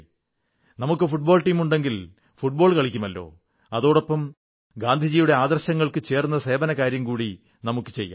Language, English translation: Malayalam, Of course we'll play football, but along with it, we'll pick up a deed to perform in conformity with one of Gandhi's ideals of service